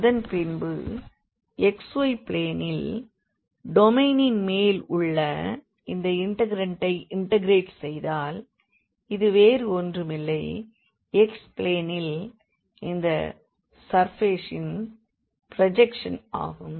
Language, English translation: Tamil, And then we integrate this integrand over the domain which is in the xy plane and this is nothing, but the projection of the of the surface in the xy plane